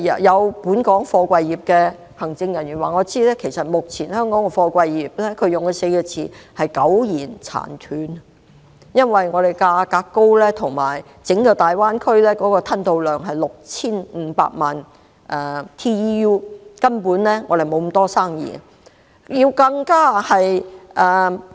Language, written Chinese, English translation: Cantonese, 有本港貨櫃業的行政人員以"苟延殘喘 "4 個字來形容香港目前的貨櫃業，因為香港的貨櫃價格高，而整個大灣區的吞吐量是 6,500 萬 TEU， 香港根本沒有那麼多生意。, Some executives of the local container industry described Hong Kongs present container industry as barely surviving . Owing to high charges of container terminals in Hong Kong and given that the throughput of the entire Greater Bay Area is 65 million TEU the container throughput of Hong Kong is simply insufficient